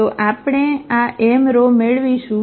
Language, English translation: Gujarati, So, we will get these m rows